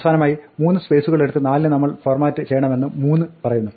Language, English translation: Malayalam, Finally, 3 says that we must format 4 so that it takes three spaces